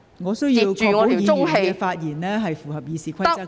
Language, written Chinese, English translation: Cantonese, 我需要確保議員的發言符合《議事規則》。, I need to ensure that Members speak in compliance with the Rules of Procedure